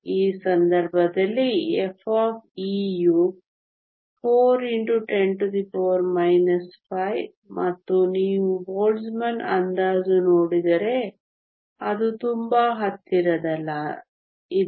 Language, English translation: Kannada, In this case f of e is 4 times 10 to the minus 5 and if you look at the Boltzmann approximation it is very close